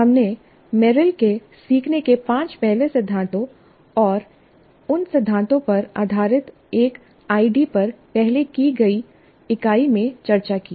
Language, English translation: Hindi, And we discussed Merrill's five first principles of learning and an ID based on those principles in an earlier unit